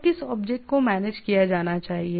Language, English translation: Hindi, So, which object to be managed